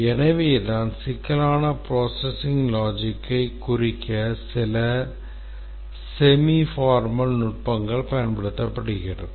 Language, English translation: Tamil, And that is the reason why some semi formal techniques are used for representing complex processing logic